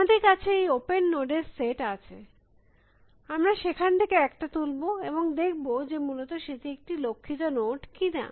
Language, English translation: Bengali, We have this set of open nodes, we will pick one from there and see whether that is a goal node or not essentially